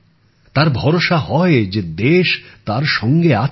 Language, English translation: Bengali, They feel confident that the country stands by them